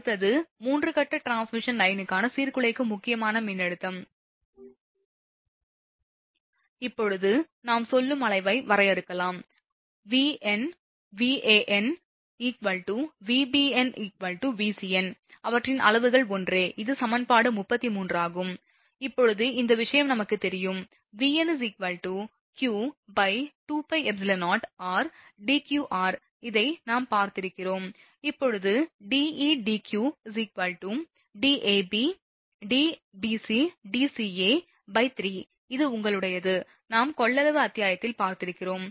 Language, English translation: Tamil, Next is disruptive critical voltage for a 3 phase transmission line, now let us define say magnitude Vn is equal to Van, is equal to Vbn is equal to Vcn which their magnitudes are same this is equation 33, now we know this thing, the Vn is equal to q upon 2 pi epsilon 0 ln D e q by r, this we have seen right